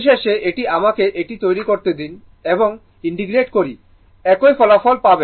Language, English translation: Bengali, Ultimate ultimately, if you make this one and integrate, you will get the same result